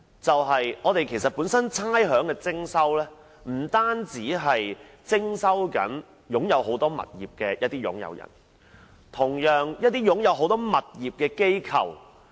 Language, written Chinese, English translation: Cantonese, 徵收差餉的對象，不單是擁有多個物業的業主，同樣包括一些持有多個物業的機構。, Rates have been levied not only on owners with a number of properties but also on organizations holding a number of properties